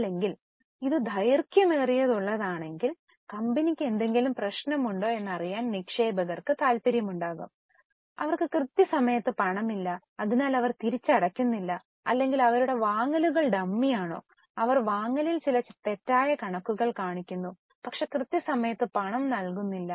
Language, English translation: Malayalam, Or if it is too long, investors will be interested in knowing whether there is any problem with the company that they have time pay cash not so they are re pay or whether their purchases are dummy they are showing some wrong figures in purchases but don't pay it in time so this ratio is also important so we have now covered the liquidity ratios